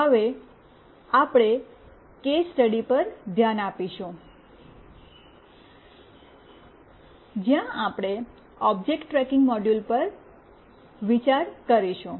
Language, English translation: Gujarati, Now, we will consider a case study, where we will consider an object tracking module